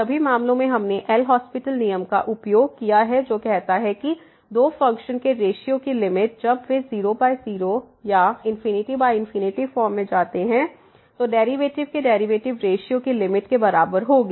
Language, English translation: Hindi, In all the cases we have used the L’Hospital rule which says that the limit of the ratio of the two functions when they go to the 0 by 0 or infinity by infinity form will be equal to the limit of the derivatives ratio of the derivatives